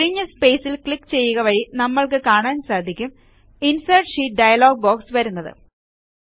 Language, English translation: Malayalam, On clicking the empty space, we see, that the Insert Sheet dialog box appears